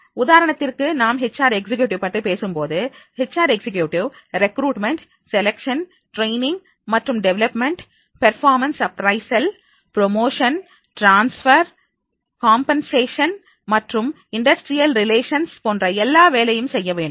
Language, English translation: Tamil, For example, when we are talking about the HR executives, then HR executives, they have to do all recruitment, selection, training and development, performance appraisal promotions, transfers, compensation and then industrial relations, all type of the tasks they are supposed to do